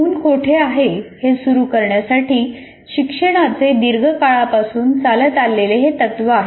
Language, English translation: Marathi, It has long been a tenet of education to start where the child is